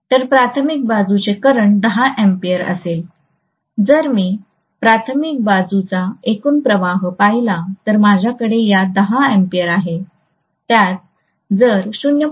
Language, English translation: Marathi, So corresponding primary side current will be 10 ampere if I look at the total current of the primary side I should have this 10 ampere added to the 0